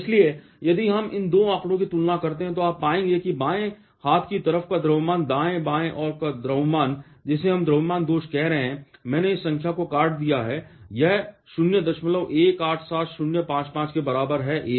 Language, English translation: Hindi, So, if we compare these 2 figures, you will find that the mass of left hand side minus mass of right hand side, which we are calling the mass defect is equal to I have chopped out this number, it is equal to 0